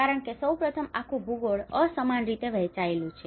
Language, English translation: Gujarati, Because first of all, we are the whole geography has been unevenly distributed